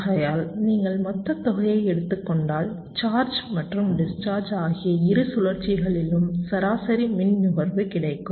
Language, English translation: Tamil, so if you take the sum total you will get the average power consumption over both the cycles, charging and discharging